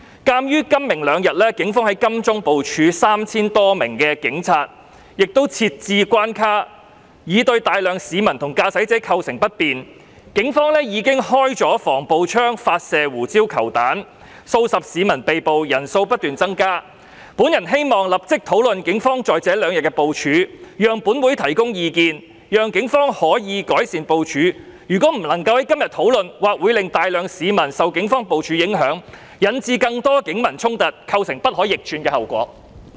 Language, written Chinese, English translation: Cantonese, 鑒於今、明兩天警方在金鐘部署 3,000 多名警察，亦設置關卡，已對大量市民和駕駛者構成不便，警方已經發射防暴槍和胡椒球彈，數十名市民被捕，被捕人數不斷增加，本人希望立即討論警方在這兩天的部署，讓本會提供意見，讓警方可以改善部署，如果不能夠在今天討論，或會令大量市民受警方部署影響，引致更多警民衝突，構成不可逆轉的後果。, Given that the Police have deployed some 3 000 officers and set up barriers in Admiralty for today and tomorrow causing inconvenience to the public and drivers; that the Police have fired anti - riot launchers and pepper balls and arrested dozens of people and that the number of arrests is on the increase I hope that a discussion can be held immediately on the deployment of the Police in these two days so that the Council can make suggestions on how to improve the deployment of the Police . If a discussion cannot take place today a large number of members of the public may be affected by the deployment of the Police resulting in more conflicts between the Police and the public with irreversible consequences